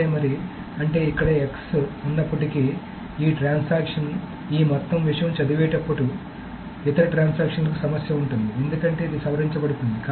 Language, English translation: Telugu, So then that means that although there is an X here, this transaction, the other transaction when it is reading this entire thing will have a problem because this is being modified